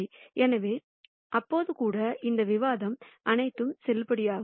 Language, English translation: Tamil, So, even then all of this discussion is valid